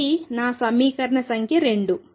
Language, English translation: Telugu, This is my equation number 2